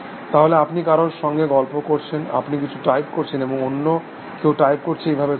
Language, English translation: Bengali, So, you are chatting with someone, you type in something, and somebody else types backs something and so on and so forth